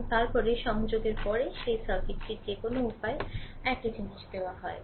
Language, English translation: Bengali, And after that you connect that circuit has the, whatever way it is given same thing